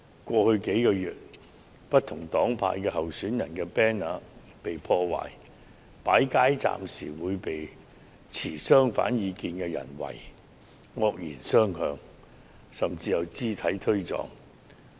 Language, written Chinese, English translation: Cantonese, 過去數個月，不同黨派候選人的 banner 曾被破壞，設街站時遭持相反意見的人"圍"、惡言相向，甚至發生肢體碰撞。, In the past few months candidates of different political camps found they posters being vandalized . At their street booths they have been confronted or hurled abusive words by people of opposite views . In some cases they even ended up in scuffles